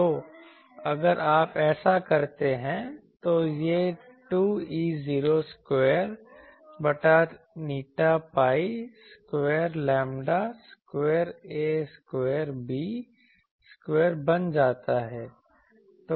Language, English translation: Hindi, So, if you do that, it becomes 2 E not square by eta pi square lambda square a square b square